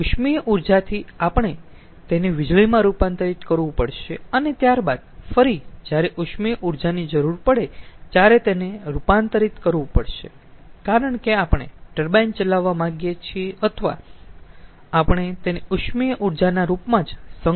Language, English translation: Gujarati, so from thermal energy we have to convert it into electricity and then again we have to convert it when it is needed, into thermal energy because we want to run a turbine, or we can store it in the form of thermal energy itself